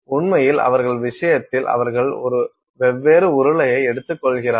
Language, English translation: Tamil, So, in fact, in their case they actually take a hollow cylinder